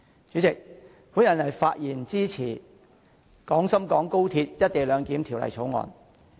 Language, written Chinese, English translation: Cantonese, 主席，我發言支持《廣深港高鐵條例草案》。, President I speak in support of the Guangzhou - Shenzhen - Hong Kong Express Rail Link Co - location Bill the Bill